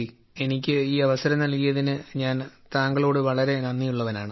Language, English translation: Malayalam, I am very grateful to you for giving me this opportunity